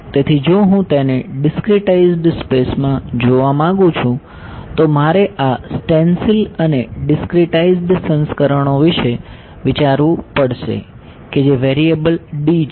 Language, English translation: Gujarati, So, if I want to look at it in discretize space then I have to think of these stencils and discretized versions of which variable D right